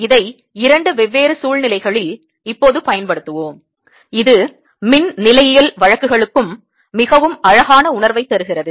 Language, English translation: Tamil, let us now apply this in two different situation and gives you very beautiful feeling for electrostatic cases also